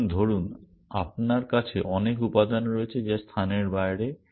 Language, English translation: Bengali, So, supposing you have many elements which are out of place